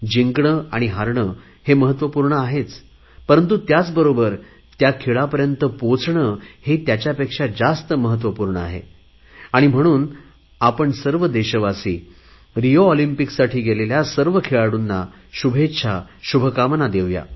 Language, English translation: Marathi, Victory and defeat are certainly important, but what is even more important is reaching this level in a game or sports discipline and, therefore, let all of us Indians join hands in wishing our RIO contingent the very best